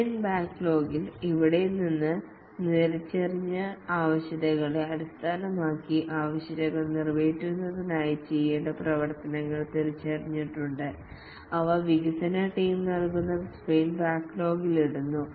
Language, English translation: Malayalam, In the sprint backlog, based on the identified requirements from here, activities that need to be done to meet the requirements are identified and that are put in the sprint backlog which is put by the development team and these activities are get completed over Delhi Scrum